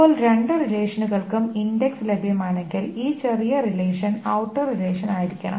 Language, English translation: Malayalam, Now, if the index is available for both the relations, the smaller relation should be the outer relation